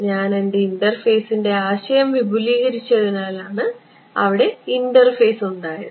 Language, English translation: Malayalam, There is an interface it is because, now I have expanded my idea of an interface itself